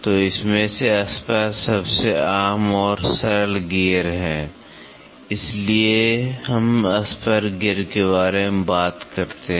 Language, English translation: Hindi, So, out of it is spur is the most common and simplest gear so, that is why we talk about spur gear